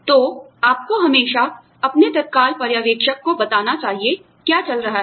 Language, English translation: Hindi, So, you should always, let your immediate supervisor know, what is going on